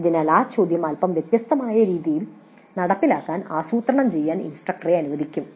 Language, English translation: Malayalam, So, this question would allow the instructor to plan implementation in a slightly different fashion